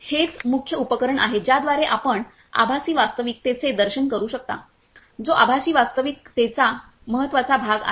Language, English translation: Marathi, Then this is the main equipment with which you can feel the immersiveness of the virtual reality which is the most important part in the virtual reality